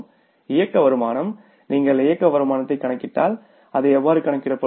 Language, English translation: Tamil, If you calculate the operating income, so how it will be calculated